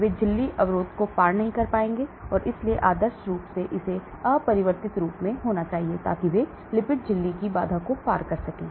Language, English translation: Hindi, They will not cross the membrane barrier so ideally it should be in uncharged form, so that they can cross the lipid membrane barrier